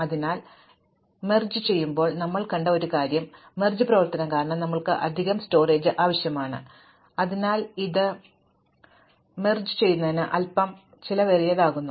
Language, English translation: Malayalam, So, one of the things that we saw in the merge sort is that because of the merge operation, we need extra storage and so, this makes merge sort a little expensive